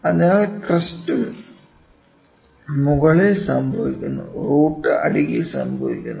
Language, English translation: Malayalam, So, crest happens on the top, root happens at the bottom